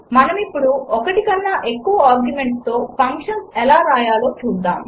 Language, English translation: Telugu, Now let us see how to write functions with more than one argument